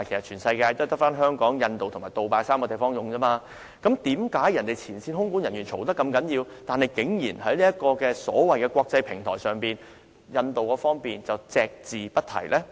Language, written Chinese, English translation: Cantonese, 全世界只有香港、印度及杜拜3個地方使用"雷神 AT3" 系統，為何前線空管人員投訴不絕，但在所謂的"國際平台"會議上，印度方面竟然隻字不提呢？, Only airports in three places in the world namely Hong Kong India and Dubai are using the Raytheon AT3 system at this moment . Why did the Indian management not mention any issues concerning the system in the so - called international users group when their frontline staff kept complaining about the problems?